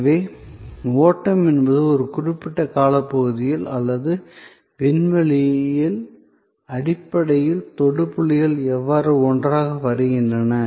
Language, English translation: Tamil, So, flow is basically how the touch points come together over a period of time or across space